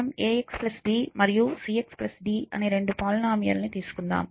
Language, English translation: Telugu, So, I assumed in the polynomial is ax plus b and cx plus d